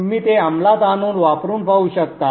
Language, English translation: Marathi, You can execute it and then try it out